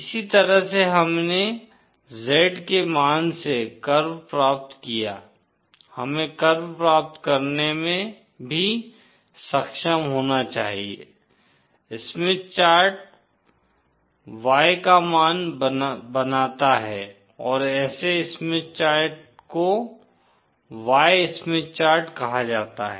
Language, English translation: Hindi, In the same way that we obtained the curve from Z value, we should also be able to get the curve, Smith chart form the Y values and such a Smith chart is called as Y Smith chart